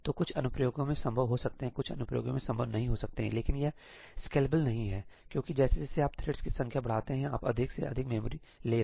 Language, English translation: Hindi, So, in some applications that may be feasible, in some applications that may not be feasible, but itís not scalable because as you increase the number of threads you are taking up more and more memory